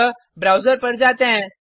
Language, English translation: Hindi, So, Let us switch to the browser